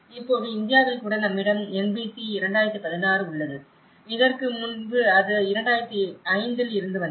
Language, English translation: Tamil, Now, even in India, we have the NBC 2016, earlier it was from 2005